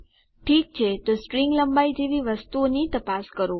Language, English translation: Gujarati, Okay so check things like string length